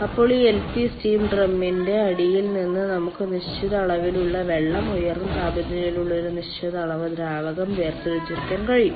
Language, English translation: Malayalam, then from the bottom of this lp steam drum we can extract certain amount of water, certain amount of liquid which is at elevated temperature